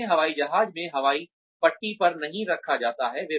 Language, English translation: Hindi, They are not put in an Airplane on the airstrip